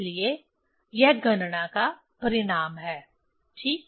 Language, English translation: Hindi, So, this is the calculating result ok